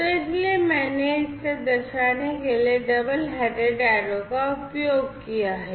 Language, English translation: Hindi, So, that is why I have denoted using a double headed arrow like this